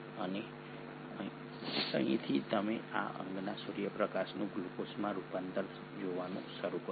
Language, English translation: Gujarati, And it is here that you start seeing in this organelle the conversion of sunlight into glucose